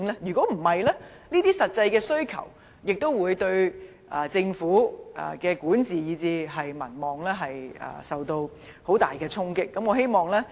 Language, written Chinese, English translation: Cantonese, 否則，不能滿足市民這些實際的需求，亦會令政府的管治以至民望受到很大的衝擊。, Otherwise when the actual needs of the people cannot be met it would trigger strong repercussions on the administration and popularity of the Government